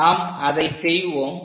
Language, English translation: Tamil, Let us do that